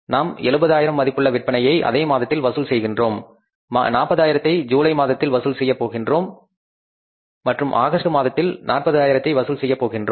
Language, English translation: Tamil, We collected 70,000 worth of sales in the same month, 40,000 for the month of July and again 40,000 for the month of August